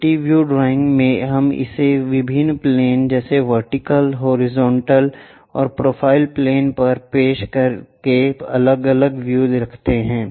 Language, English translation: Hindi, In multi view drawing we have different views by projecting it on different planes like vertical plane, horizontal plane or profile plane